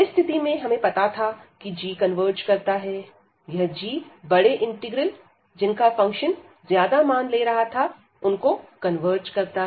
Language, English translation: Hindi, And in that case if we know that this g converges, this g converges the larger integral which is taking the function taking large values